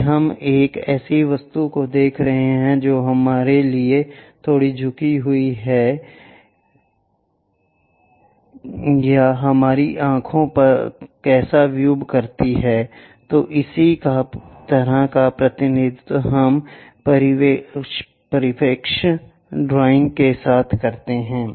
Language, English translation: Hindi, If we are looking a object which is slightly incline to us how it really perceives at our eyes this similar kind of representation we go with perspective drawing